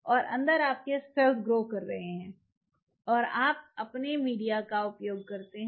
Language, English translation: Hindi, And inside your cells are growing right and your use your media